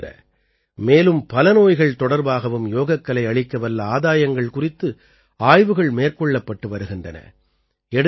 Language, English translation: Tamil, Apart from these, studies are being done regarding the benefits of yoga in many other diseases as well